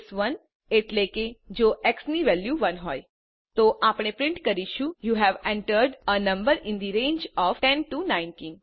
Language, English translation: Gujarati, case 1 means if the value of x is 1 We print you have entered a number in the range of 10 19